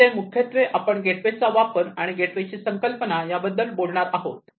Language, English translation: Marathi, Here basically we are talking about incorporation of the, the gateway, gateway concept